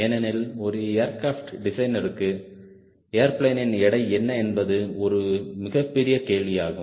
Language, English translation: Tamil, because for an aircraft designer what will be the weight of the airplane is a big question